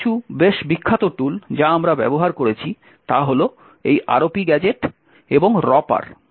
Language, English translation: Bengali, So, some quite famous tools which we have used is this ROP gadget and Ropper